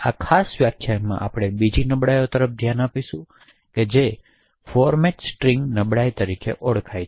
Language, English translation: Gujarati, In this particular lecture we will look at another vulnerability which is known as the Format String vulnerability